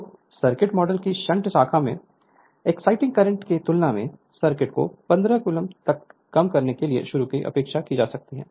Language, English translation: Hindi, So, in comparison the exciting current in the shunt branch of the circuit model can be neglected at start reducing the circuit to the figure 15 C